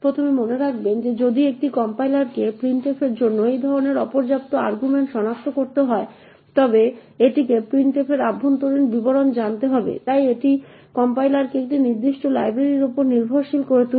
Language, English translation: Bengali, First note that if a compiler has to detect such insufficient arguments to printf it would need to know the internal details of printf therefore it would make the compiler dependent on a specific library